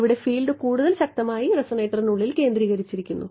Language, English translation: Malayalam, Here the field is much more strongly concentrated inside the resonator